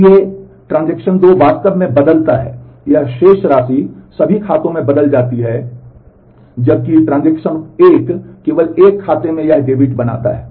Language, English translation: Hindi, So, transaction 2 actually changes does this balance change in all the accounts, whereas, transaction 1 makes this debit in only one account